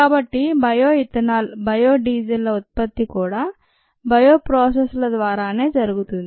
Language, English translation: Telugu, so the production of bio ethanol and bio diesel are also done through bio processes